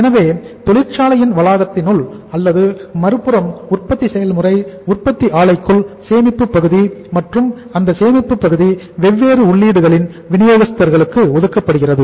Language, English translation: Tamil, So within the premises of the factory or the manufacturing process the plant one area is the manufacturing process manufacturing plant on the other side the storage area and that storage area is allotted to the suppliers of the different inputs